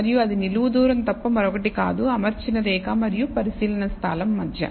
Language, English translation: Telugu, And that is nothing but the vertical distance between the fitted line and the observation point